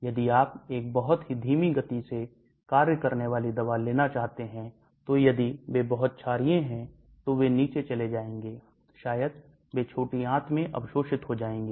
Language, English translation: Hindi, If you want to have a very slow acting drug, then if they are very basic , they will go down the line maybe they will get absorbed in the small intestine